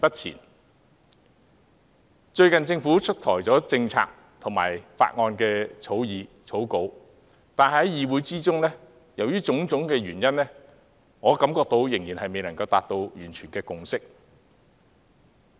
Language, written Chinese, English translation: Cantonese, 就最近政府推出的政策及法案擬稿，由於種種原因，我感覺議會仍未能達成一致共識。, Due to various reasons this Council has yet to reach a broad consensus on the policies and draft bills proposed recently by the Government